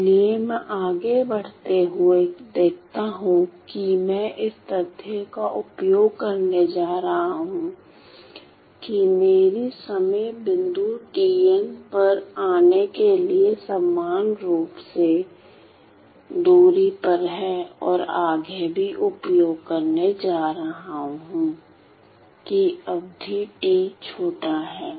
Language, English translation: Hindi, So, moving on I see that so then again I am going to use I and I am going to use the fact that my time points are equally spaced my time points tn are equally spaced to arrive at and also further I am going to use that my period T is small